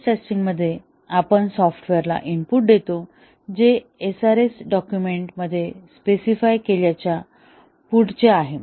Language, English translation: Marathi, In stress testing, we give input to the software that is beyond what is specified for the SRS document